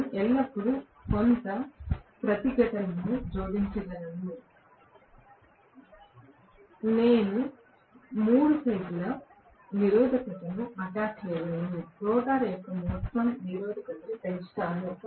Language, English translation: Telugu, I can always attach some resistance; I can attach 3 phase resistance, increase the overall resistance of the rotor